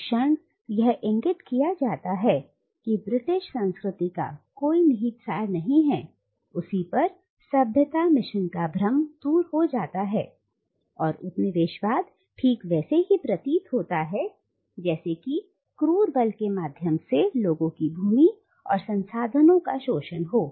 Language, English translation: Hindi, The moment it is pointed out that there is no inherent essence of British culture, the illusion of the civilising mission disappears and colonialism is revealed just as it is, which is an exploitation of other people’s land and resources through brute force